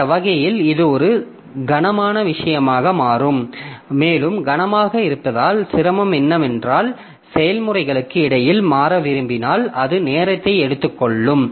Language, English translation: Tamil, And so, so difficulty with being heavy is that if you want to switch between the processes it becomes time consuming